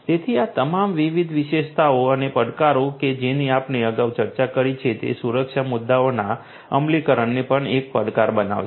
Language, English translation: Gujarati, So, all these different features and the challenges that we have discussed previously, these will also make the implementation of security issues a challenge